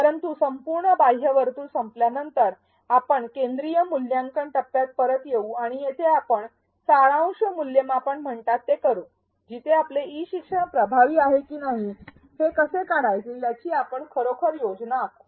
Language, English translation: Marathi, But after the entire outer circle is over, we come back to the central evaluate phase and here we do what is called summative evaluation where we actually plan how to figure out whether our e learning is effective